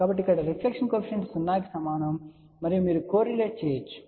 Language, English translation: Telugu, So, the reflection coefficient equal to 0 over here and you can even correlate